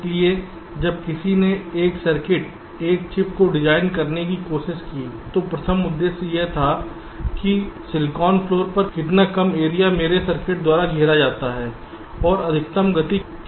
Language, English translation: Hindi, so when someone try to design a circuit, a chip, the primary emphasis was how much less area is occupied by my circuits on the chip, on the silicon floor, and what is the maximum speed